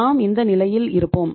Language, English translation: Tamil, We will be up to this level